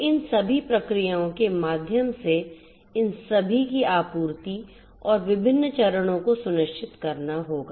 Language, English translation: Hindi, So, all these supply through these entire processes and the different steps will have to be ensured